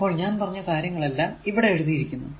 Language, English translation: Malayalam, So, whatever I said everything, everything is everything is written here